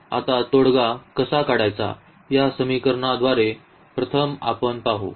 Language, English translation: Marathi, So, first let us see with the equations how to get the solution now